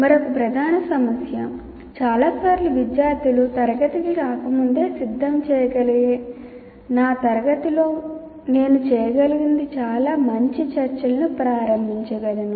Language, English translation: Telugu, And another major one, many times if the students can prepare before coming to the class, I can do in my class much better